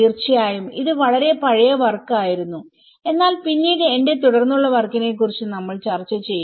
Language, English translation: Malayalam, Of course, this was a very old work but later on, we will be discussing on my further work as well